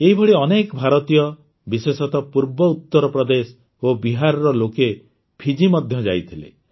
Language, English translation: Odia, Similarly, many Indians, especially people from eastern Uttar Pradesh and Bihar, had gone to Fiji too